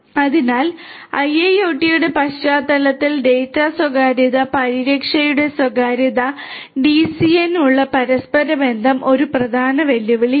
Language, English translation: Malayalam, So, privacy of the data privacy protection in the context of IIoT and it is interconnectivity with DCN is an important challenge